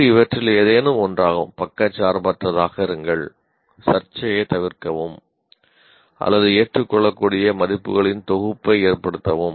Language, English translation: Tamil, It can be any of this as impartial or avoid controversy or instill a set of values acceptable